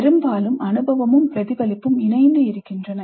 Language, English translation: Tamil, Often experience and reflection coexist